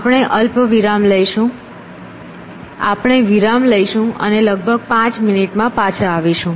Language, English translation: Gujarati, So, we will take a break and come back in about five minutes